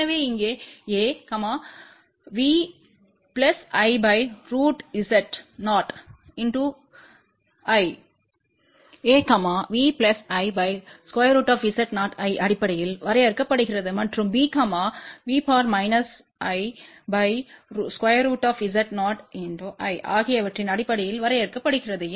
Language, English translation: Tamil, So, here a is defined in terms of V plus divided by square root Z 0 and b is defined in terms of V minus divided by square root Z 0